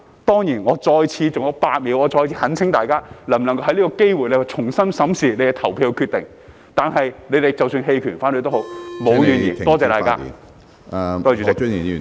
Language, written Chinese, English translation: Cantonese, 當然，我再次——還有8秒——懇請大家，能否藉此機會重新審視你的投票決定，但你們即使投棄權或反對票，我也沒有怨言......, Certainly once again―with eight seconds left―I implore Members to take this opportunity to reconsider their vote but even if they abstain or vote against the motion I will hold no grudge Thank you all